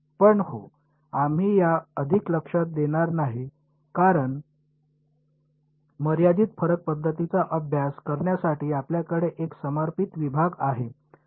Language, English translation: Marathi, But yeah, we will not go more into this because we will have a dedicated module for studying finite difference methods ok